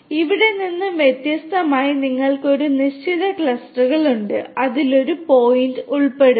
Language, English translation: Malayalam, Unlike over here where you have definite you know distinct clusters to which one point is going to belong to